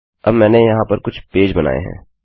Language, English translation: Hindi, Now I have created a few pages here